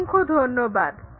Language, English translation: Bengali, Thanks a lot